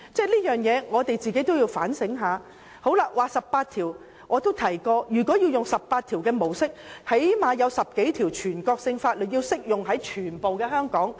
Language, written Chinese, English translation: Cantonese, 至於第十八條，我也曾指出如果採用第十八條的模式，最少會有10多條全國性法律適用於香港。, As for Article 18 I have pointed out that if we adopt the approach as provided for in Article 18 there will at least be 10 odd national laws to be applicable in Hong Kong